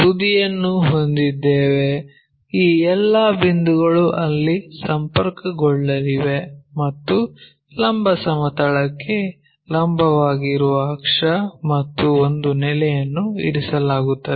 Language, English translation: Kannada, So, having apex all these points are going to connected there and axis perpendicular to vertical plane and one of the base is resting